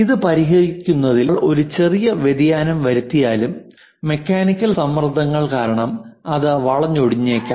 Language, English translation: Malayalam, Even if we make it a small variation in terms of fixing it like mechanical stresses perhaps might twisted